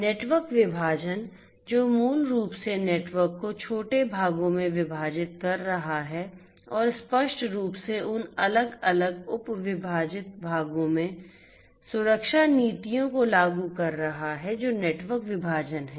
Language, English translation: Hindi, Network segmentation, which is basically dividing the network into smaller parts and enforcing security policies explicitly in those different subdivided parts that is network segmentation